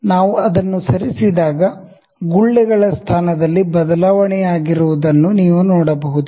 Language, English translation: Kannada, When we move it you can see the bubble is changing it is position